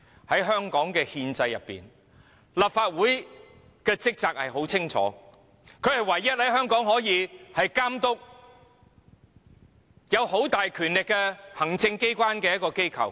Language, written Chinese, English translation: Cantonese, 在香港的憲制，立法會的職責十分清楚，是全港唯一可以監督擁有很大權力的行政機關的機構。, Under the constitutional system of Hong Kong the functions of the Legislative Council are clearly stated . It is the only institution in Hong Kong that can oversee the Executive Authorities which have enormous power